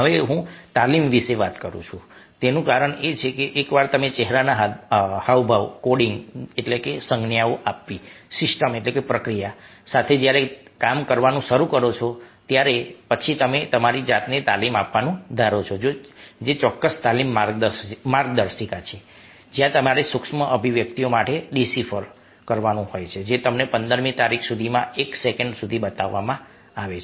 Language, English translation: Gujarati, now, the reason i am talking about training is because once you start working with facial coding systems, your suppose to train yourself which certain training manuals where you have to decide for micro expressions which are shown to you for one, by fifteenth of a second